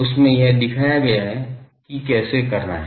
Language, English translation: Hindi, It has been shown that how to do that